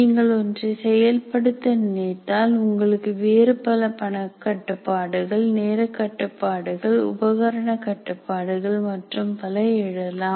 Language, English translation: Tamil, What happens if you want to perform something, you have other constraints like monetary constraints, time constraints, and equipment constraints and so on